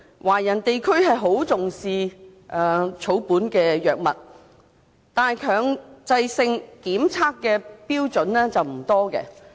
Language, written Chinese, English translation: Cantonese, 華人地區很重視草本藥物，但強制性檢測的標準不多。, While the Chinese communities attach great importance to herbal medicines not many standards have been set for compulsory testing